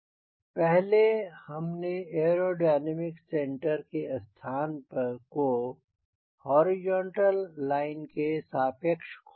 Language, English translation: Hindi, now, earlier we derived what was if the position of aero dynamic center with respect to wing horizontal line